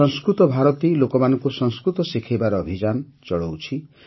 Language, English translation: Odia, 'Sanskrit Bharti' runs a campaign to teach Sanskrit to people